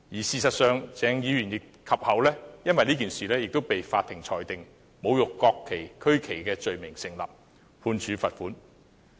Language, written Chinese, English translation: Cantonese, 事實上，鄭議員其後也因此被法庭裁定侮辱國旗和區旗罪名成立，判處罰款。, As a matter of fact Dr CHENG was subsequently convicted by the Court of desecrating the national flag and regional flag and fined